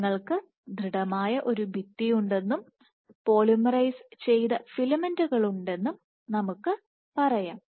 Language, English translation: Malayalam, So, let us say you have a rigid wall, and you have filaments which are polymerized